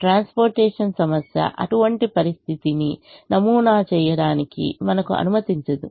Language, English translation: Telugu, the transportation problem does not permit us to model such a situation